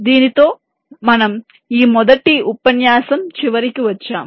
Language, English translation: Telugu, so with this we come to the end of this first lecture